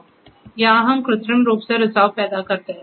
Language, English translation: Hindi, So, here we artificially create leakage